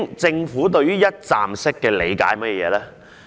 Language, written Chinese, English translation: Cantonese, 政府對於"一站式"的理解究竟是甚麼？, What is the Governments understanding about the one - stop notion?